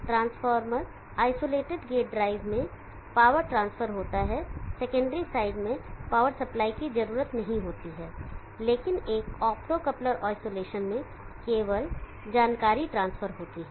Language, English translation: Hindi, In the transformer isolated gate drive the power is transferred there is no need for a power supply in the secondary side, but in an optocoupled isolation only the information is transferred